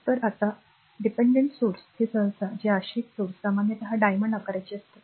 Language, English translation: Marathi, So, now dependent sources are usually these dependent sources are usually a diamond shape